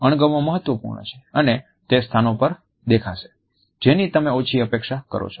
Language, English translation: Gujarati, Disgust is important, and it shows up in places that you would least expect it